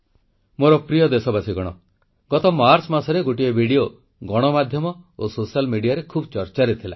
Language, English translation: Odia, My dear countrymen, in March last year, a video had become the centre of attention in the media and the social media